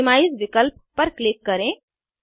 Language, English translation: Hindi, Click on the option minimize